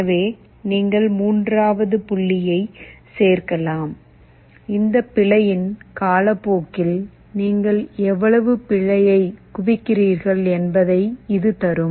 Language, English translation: Tamil, So, you can add a third point, where summation over time this error, this will give you how much error you are accumulating over time